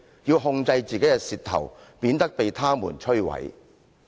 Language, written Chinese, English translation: Cantonese, "要控制自己的舌頭，免得被它們摧毀。, One have to control his tongue lest he will be destroyed by it